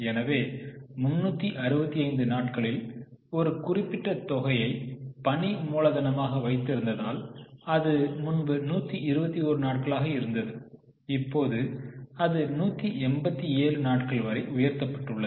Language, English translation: Tamil, So, in a year of 365 days, if a particular amount is locked up in the form of working capital, earlier it was 121, it has now gone up to 187 days, which is you can understand is a very high amount